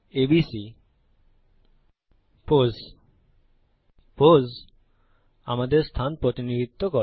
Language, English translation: Bengali, ABC pos as pos represents our position